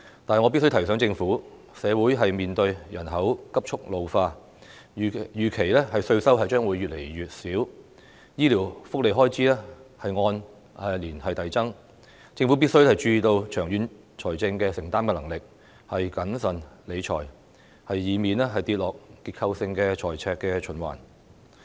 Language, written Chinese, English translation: Cantonese, 但是，我必須提醒政府，社會面對人口急速老化，預期稅收將會越來越少，醫療福利開支按年遞增，政府必須注意香港長遠的財政承擔能力，要謹慎理財，以免跌入結構性的財赤循環。, Nevertheless I must remind the Government that owing to rapid population ageing tax revenue is expected to be dwindling while expenditure on health care benefits will be increasing gradually year on year . Therefore the Government must be mindful of Hong Kongs long - term fiscal affordability and manage its finances prudently so as to avoid entering a structural fiscal deficit cycle